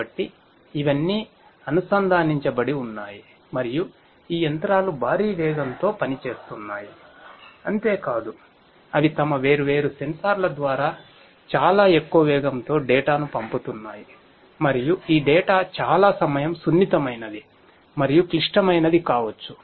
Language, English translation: Telugu, So, all of these are connected and these machines are operating at huge speeds not only that, but they are also sending data through their different sensors at very high speeds and many of this data are very time sensitive and could be critical